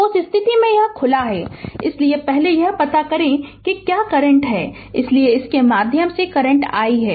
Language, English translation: Hindi, So, in that case, it is open so first you find out what is the current here, so current through this is i